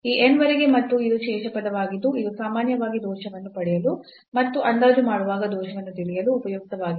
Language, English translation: Kannada, Up to this n and this is the remainder term which is often useful to get the error or the estimation of the error in the approximation